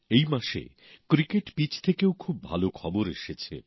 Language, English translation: Bengali, This month, there has been very good news from the cricket pitch too